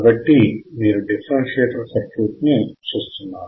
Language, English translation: Telugu, So, you can see the differentiator circuit